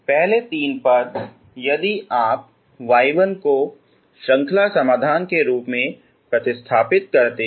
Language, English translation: Hindi, First three terms if you replace y 1 as series, y 1 is a series solutions